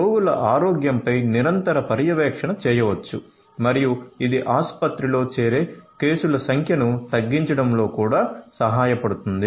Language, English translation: Telugu, So, that continuous monitoring of patients health can be done and this can also help in reducing the number of cases of hospitalization